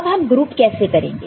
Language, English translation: Hindi, Then how we found the group